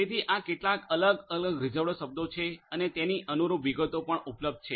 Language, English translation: Gujarati, So, these are some of these different reserved words and their corresponding details are also available